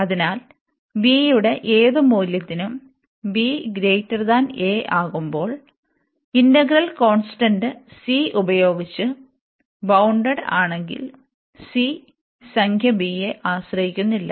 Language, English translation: Malayalam, So, here for any value b here, which is greater than a, if this integral is bounded by a constant C, it is this C is not depending on the number b here